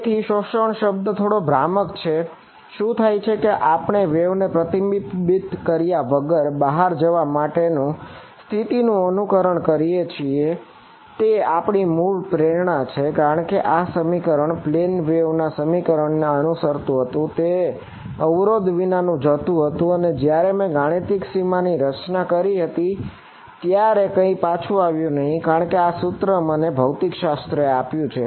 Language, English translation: Gujarati, So, the word absorbing is slightly misleading what is happening is we are simulating the condition for a wave to go off unreflected that was our original motivation because this expression was the expression obeyed by a plane wave that is going unhindered and when I draw a mathematical boundary then nothing will come back because that is the equation that physics has given me